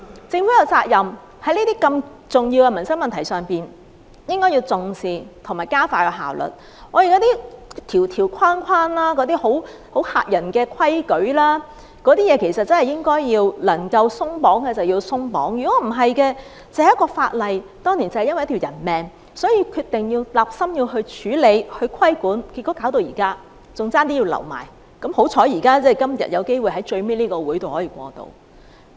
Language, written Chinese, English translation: Cantonese, 在如此重要的民生問題上，政府有責任重視和加快處理，那些條條框框、嚇人的規矩，可以鬆綁的便應該鬆綁，否則，只是一項源於當年一條人命的法例，雖然政府立心要處理和規管，但結果也拖到現在，差點處理不了，還好今天有機會在最後這個會議上通過。, The Government is duty - bound to pay attention to and speedily handle this important livelihood issue . All those limitations and frightening rules should be relaxed as far as possible; otherwise a piece of legislation which stems from an incident that has cost one life would end up being stalled until now and has almost fallen through despite the fact that the Government is determined to deal with and regulate the problem . Luckily we have an opportunity today to pass it in this last meeting